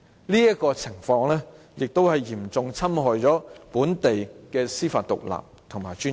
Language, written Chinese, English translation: Cantonese, 這情況亦嚴重侵害本地的司法獨立和尊嚴。, This will be a serious infringement on the independence and dignity of the Judiciary of Hong Kong